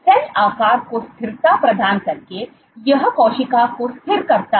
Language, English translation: Hindi, Of course, it provides stability to cell shape, it stabilizes the cell